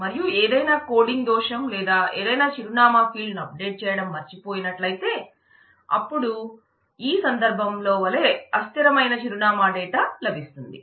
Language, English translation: Telugu, And if because of some coding error or something we miss out to update any of the address fields then we will have a difficulty and that difficulty is having inconsistent address data as in this case